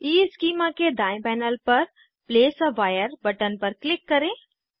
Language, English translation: Hindi, On right panel of EESchema, Click on Place a wire button